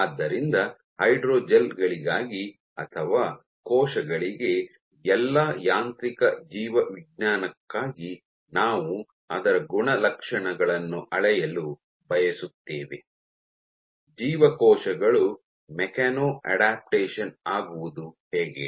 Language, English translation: Kannada, So, for hydrogels or for cells, for all of mechanobiology we want to measure its properties right, how do the cells mechano adapt